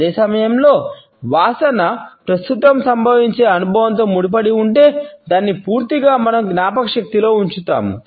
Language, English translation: Telugu, At the same time if the smell is associated with a currently occurring experience, we retain it in our memory in totality